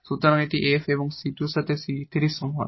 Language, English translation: Bengali, So, this is f here and with c 2 is equal to the c 3